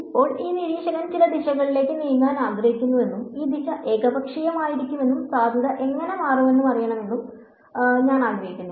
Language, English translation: Malayalam, Now, let say that this observer wants to change in some wants to move in some direction and this direction could be arbitrary and I want to know how does the potential change